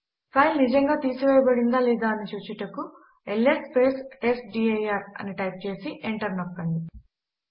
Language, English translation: Telugu, To see that the file has been actually removed or not.Let us again press ls testdir and press enter